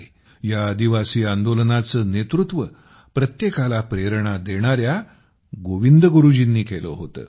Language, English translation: Marathi, This tribal movement was led by Govind Guru ji, whose life is an inspiration to everyone